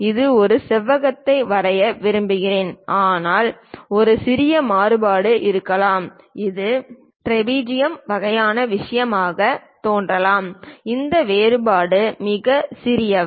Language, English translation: Tamil, I want to draw rectangle, but perhaps there is a small variation it might look like trapezium kind of thing, these variations are very small